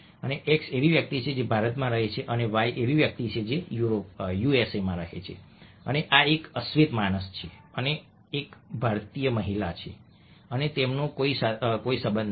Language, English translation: Gujarati, let say that we have, say, x and y, and x somebody who lives in india and y somebody would even, let say, usa, and this is a black man and this is a indian woman, and they have absolutely no connection